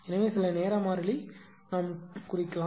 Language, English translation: Tamil, So, some sometime constant we can represent right